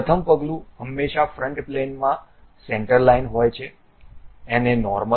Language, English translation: Gujarati, The first step is always be centre line on a front plane, normal to it